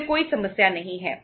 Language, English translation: Hindi, Then there is no problem